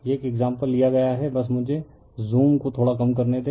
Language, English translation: Hindi, This example one is taken right, just hold on let me reduce the zoom little bit right